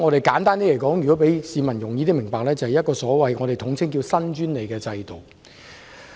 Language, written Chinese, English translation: Cantonese, 簡單而言，為了讓市民易於明白，我們將上述制度統稱為"新專利制度"。, Simply put to make things easy for understanding by members of the public the systems is collectively referred to as the new patent system